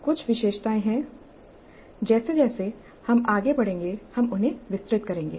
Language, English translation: Hindi, Now there are certain features we'll elaborate them as we go along